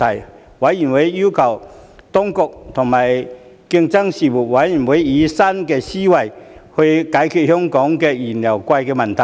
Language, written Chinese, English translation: Cantonese, 事務委員會要求當局和競爭事務委員會以新思維解決香港燃油昂貴的問題。, The Panel requested the Administration and the Competition Commission to adopt a new mindset in addressing the issue of high fuel prices in Hong Kong